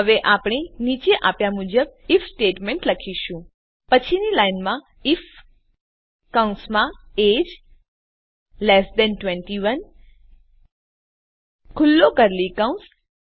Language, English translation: Gujarati, Now, we will write an If statement as follows: Next line if within bracket age 21 open curly brackets